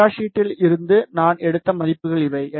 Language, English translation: Tamil, And these are the values which I have taken from the data sheet